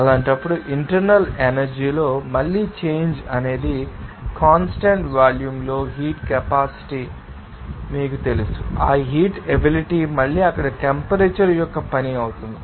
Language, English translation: Telugu, In that case, the change in internal energy again it will be a function of you know heat capacity at constant volume and that heat capacity again will be a function of temperature there